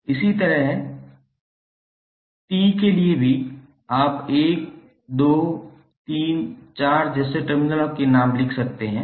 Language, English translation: Hindi, And similarly for T also, you can write the names of the terminals like 1, 2, 3, 4